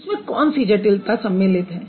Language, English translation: Hindi, What is that complexity involved in it